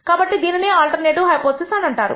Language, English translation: Telugu, So, this is called the alternate hypothesis